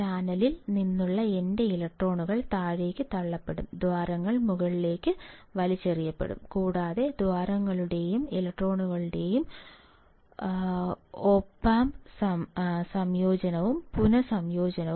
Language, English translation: Malayalam, My electrons from the channel will be pushed down, the holes will be pulled up and there will be recombination of holes and electrons and ultimately